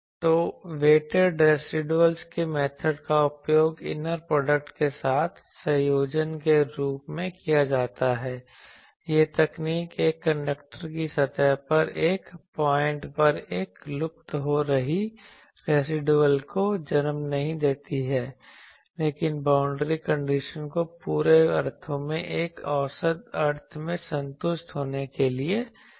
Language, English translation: Hindi, So, the method of weighted residuals is utilized in conjunction with the inner product this technique does not lead to a vanishing residual at every point on the surface of a conductor, but forces the boundary conditions to be satisfied in an average sense over the entire surface